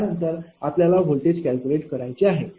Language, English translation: Marathi, Next is calculation of voltage magnitude